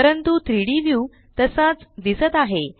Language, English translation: Marathi, But the 3D view looks the same